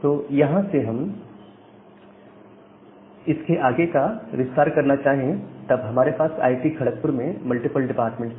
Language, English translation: Hindi, Now, from here if we further expand the network; so, we have multiple departments in the institute in IIT, Kharagpur